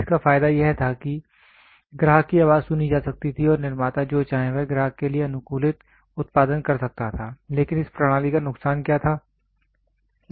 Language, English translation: Hindi, The advantage of it was the customer voice could be listened and the manufacturer could produce customized to whatever the customer wants, but what was the disadvantage of this system